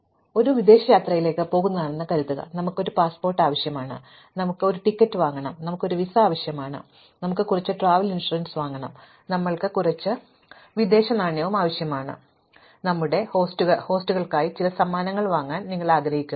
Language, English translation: Malayalam, Suppose, we are going on a foreign trip, then of course, we need a passport, we need to buy a ticket, we require a visa probably, we want to buy some travel insurance, we probably need some foreign exchange as well and perhaps you want to buy some gifts for our hosts